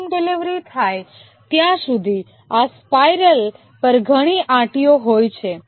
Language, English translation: Gujarati, There can be many loops on this spiral until the final delivery takes place